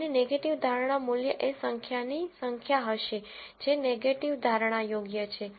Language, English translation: Gujarati, And the negative predictive value would be the number of times that the negative prediction is right